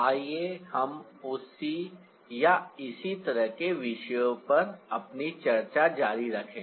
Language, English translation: Hindi, so, ah, let's continue our discussion on the same or similar topics here